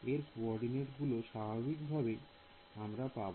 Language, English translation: Bengali, The coordinates will come in over here ok